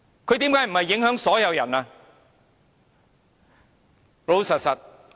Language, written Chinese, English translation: Cantonese, 難道他不是影響到所有人？, Are you telling me that he has not affected everyone?